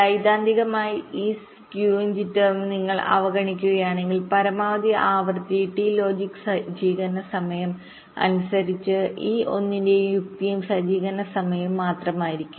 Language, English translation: Malayalam, and if you ignore this skew and jitter, for the time been, theoretically the maximum frequency would have been just the logic and setup times, just one by t logic setup time